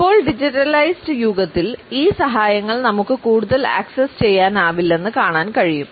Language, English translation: Malayalam, Now, we find that in the digitalised age, these aids are not any more accessible to us